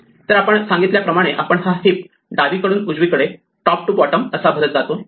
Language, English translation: Marathi, So, just as we said we filled up this heap left to right, top to bottom right